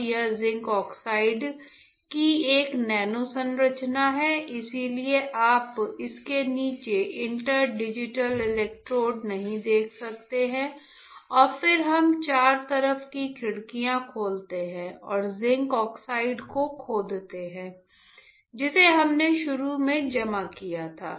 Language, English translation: Hindi, Now, this is a nano structure of zinc oxide that is why you cannot see the inter digital electrodes below it and then we open the windows on four side and etch the zinc oxide that we have deposited initially